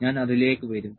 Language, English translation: Malayalam, I will just come to that